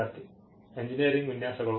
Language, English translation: Kannada, Student: Engineering designs